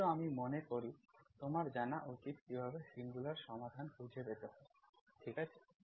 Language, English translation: Bengali, But you, you I think you should know how to find the singular solutions, okay